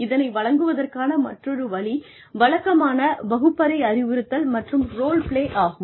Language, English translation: Tamil, And, another way of presenting is, the typical classroom instruction and role plays